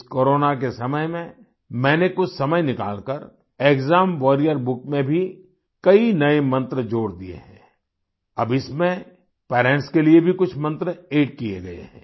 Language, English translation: Hindi, In the times of Corona, I took out some time, added many new mantras in the exam warrior book; some for the parents as well